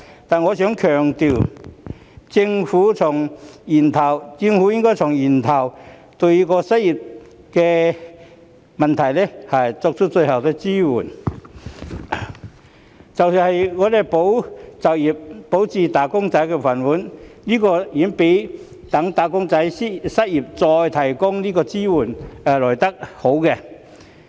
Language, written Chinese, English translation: Cantonese, 但是，我想強調，政府應該從源頭解決失業問題，對失業人士最好的支援是"保就業"，保住"打工仔"的"飯碗"，這遠較待"打工仔"失業後才提供支援更好。, However I would like to stress that the Government should tackle the unemployment problem at source . The best support for the unemployed is to safeguard the jobs and protect the rice bowls of wage earners which is far better than providing support only after the wage earners have become jobless